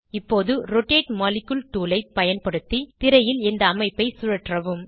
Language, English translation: Tamil, Now, rotate the structure on screen using the Rotate molecule tool